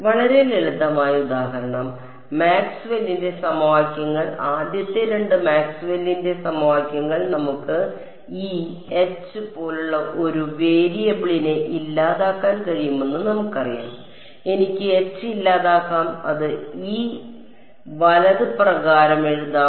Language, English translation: Malayalam, So very simple example, Maxwell’s equations the first two Maxwell’s equations we know we can eliminate one variable like E and H I can eliminate H and just write it in terms of E right